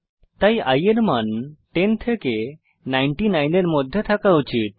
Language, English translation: Bengali, So, i should have values from 10 to 99